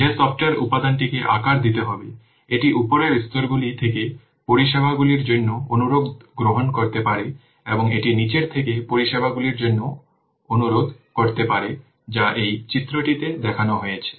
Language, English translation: Bengali, The software component which has to be sized, it can receive request for services from layers above and it can request services from those below it